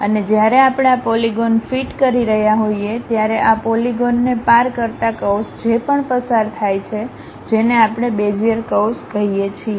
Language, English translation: Gujarati, And when we are fitting these polygons, whatever the curve which pass through that crossing these polygons that is what we call Bezier curves